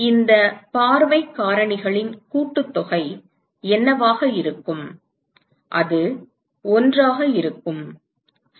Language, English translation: Tamil, What will be the sum of all these view factors, it will be 1 right